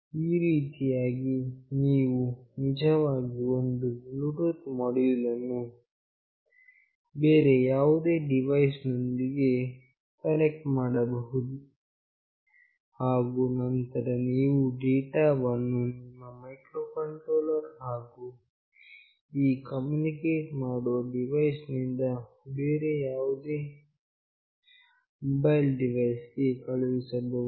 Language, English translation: Kannada, This is how you can actually connect a Bluetooth module with any other device, and then you can send the data through your microcontroller and through this communicating device to any other mobile device